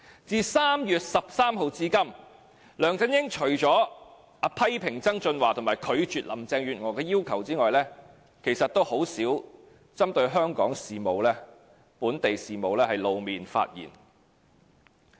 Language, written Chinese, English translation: Cantonese, 自3月13日至今，除了批評曾俊華及拒絕林鄭月娥的要求外，他很少針對香港的本地事務露面和發言。, From 13 March apart from criticizing John TSANG and rejecting Carrie LAMs requests he has rarely made public appearances and comments on local affairs